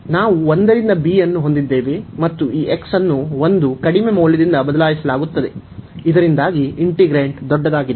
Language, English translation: Kannada, So, we have 1 to b and this x is replaced by 1 the lowest possible value, so that the integrant is the larger one